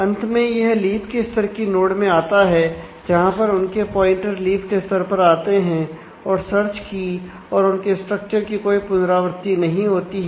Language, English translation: Hindi, Finally, appear in terms of the leaf level nodes only they are their pointers come in the leaf level whereas, here the there is no repetition of the search key along the structure